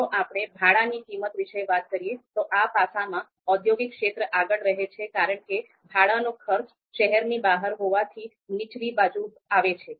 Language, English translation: Gujarati, We talk about the rental cost, then then industrial area scores in this aspect because the renal cost would be on the lower side because this is outside the city